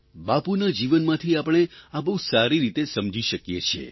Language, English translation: Gujarati, We can understand this from Bapu's life